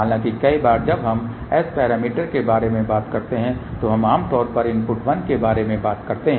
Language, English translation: Hindi, However many a times when we talk about S parameter we generally talk about input as 1